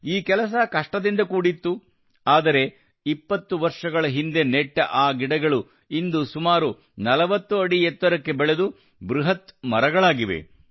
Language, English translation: Kannada, But these saplings that were planted 20 years ago have grown into 40 feet tall huge trees